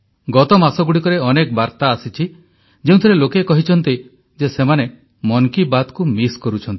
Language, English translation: Odia, Over the last few months, many messages have poured in, with people stating that they have been missing 'Mann Ki Baat'